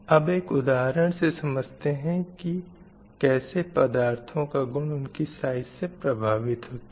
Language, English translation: Hindi, So, let us have an example to understand how the material properties vary with the size of material